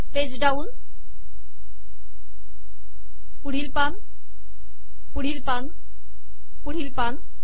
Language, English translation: Marathi, Next page, next page, next page